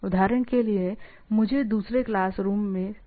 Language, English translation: Hindi, I require a pen from the other class room right